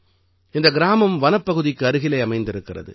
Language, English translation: Tamil, This village is close to the Forest Area